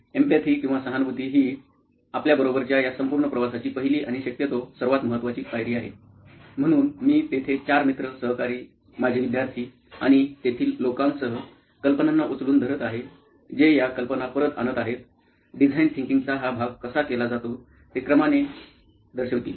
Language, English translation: Marathi, Empathize is the first and foremost and possibly the most important step in this entire journey that we have with you, so there I have four of my friends, colleagues, ex students and people we bounce off ideas, I bounce of ideas with; they will sort of demonstrate to you how this part of Design Thinking is done